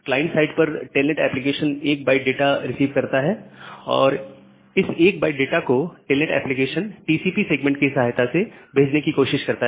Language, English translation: Hindi, So, telnet application at the client side it has just received 1 byte of data and that 1 byte of data it is trying to send with the help of a TCP segment